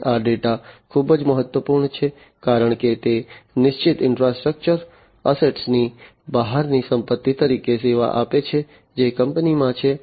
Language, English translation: Gujarati, And this data it is very important, because it serves as an asset beyond the fixed infrastructure assets that are there in the company that